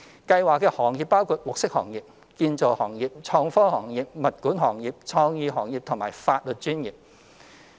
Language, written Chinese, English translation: Cantonese, 計劃的行業包括綠色行業、建造行業、創科行業、物管行業、創意行業及法律專業。, Targeted industries include the green industry construction industry IT industry property management industry creative industries and legal profession